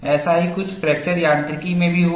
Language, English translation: Hindi, Something similar to that also happened in fracture mechanics